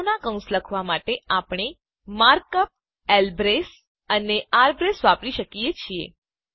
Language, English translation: Gujarati, Notice that to write the brackets for sets, we can use the mark up: lbrace and rbrace